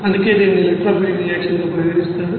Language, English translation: Telugu, That is why it will be regarded as electrophilic reaction